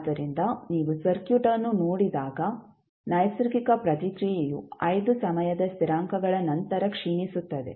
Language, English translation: Kannada, So, when you will see the circuit the natural response essentially dies out after 5 time constants